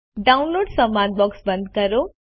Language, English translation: Gujarati, Close the Downloads dialog box